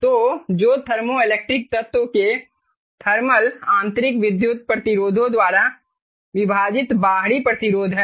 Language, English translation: Hindi, so which is the external resistance divided by the thermal, intrinsic electrical resistances of the thermoelectric elements